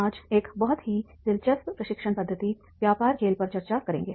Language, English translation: Hindi, We will discuss today a very interesting method, training method, business game